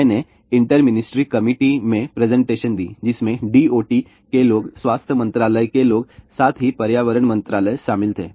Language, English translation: Hindi, I made presentations to the inter ministry committee which consisted of D O T people, health ministry people, as well as environment ministry